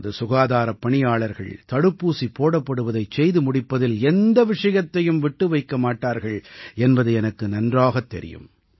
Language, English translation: Tamil, I knew that our healthcare workers would leave no stone unturned in the vaccination of our countrymen